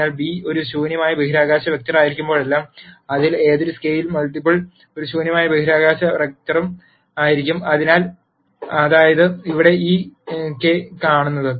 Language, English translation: Malayalam, So, whenever beta is a null space vector then any scalar multiple of that will also be a null space vector that is what is seen by this k here